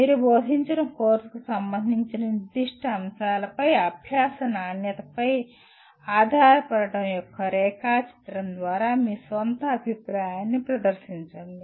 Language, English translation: Telugu, Present your own view through a diagram of the dependence of quality of learning on specific factors related to a course that you taught